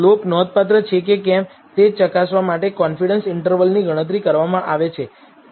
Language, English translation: Gujarati, The confidence interval is computed to check if the slope is significant